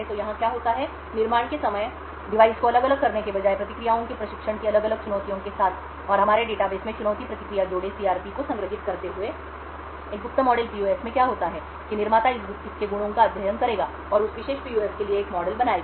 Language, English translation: Hindi, So what happens over here is at the time of manufacture instead of varying the device with different challenges of training the responses and storing the challenge response pairs in our database, what happens in a secret model PUF is that the manufacturer would study the properties of this PUF and create a model for that particular PUF